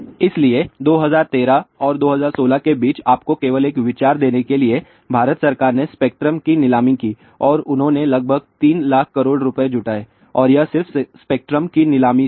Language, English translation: Hindi, So, just to give you a little bit of an idea between 2013 and 2016 Indian government did this spectrum option and they raised about 3 lakh rupees and this is just by spectrum auction